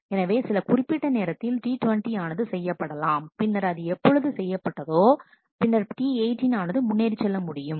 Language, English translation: Tamil, So, at some point of time T 20 will be done and when that is done then T 18 would be able to proceed